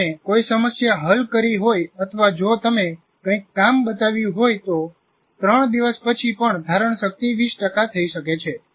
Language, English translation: Gujarati, That is if you have solved a problem or if you have shown something working, but still after three days, the retention is only 20%